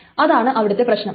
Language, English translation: Malayalam, That's the big thing